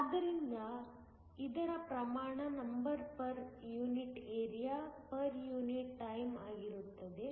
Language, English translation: Kannada, So, this has the units of a number per unit area, per unit times